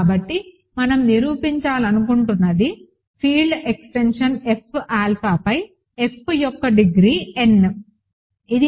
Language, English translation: Telugu, So, what we want to prove is the degree of the field extension F alpha over F is n, ok